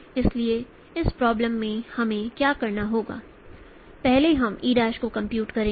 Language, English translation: Hindi, So in this problem what we will need to do first we will be computing E prime